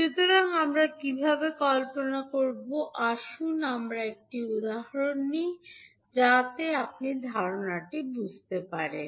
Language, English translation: Bengali, So how we will visualise, let us take an example so that you can understand the concept